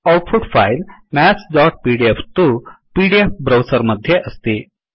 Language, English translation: Sanskrit, The output file Maths.pdf is in the pdf browser